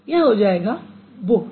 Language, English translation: Hindi, It would be booked